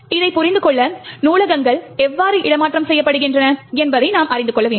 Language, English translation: Tamil, In order to understand this, we will need to know how libraries are made relocatable